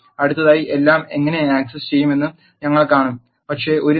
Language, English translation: Malayalam, Next we will see how do access everything, but one column